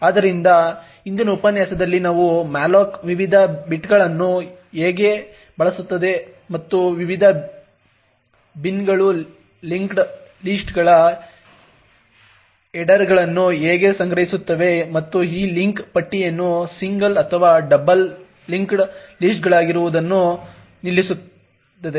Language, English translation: Kannada, So in the previous lecture we stopped off at how malloc uses the various bins and how these various bins store linked lists headers and this link list to be either single or doubly linked lists